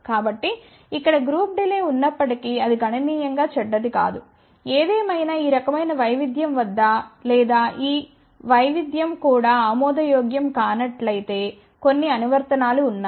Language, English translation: Telugu, So, even though there is a group delay over here it is not significantly bad ; however, there are certain applications where even at this kind of a variation or if this variation is also not acceptable